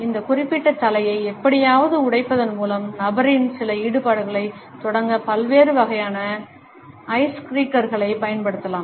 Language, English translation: Tamil, We may use different types of icebreakers to initiate certain involvement in the person by somehow breaking this particular head down movement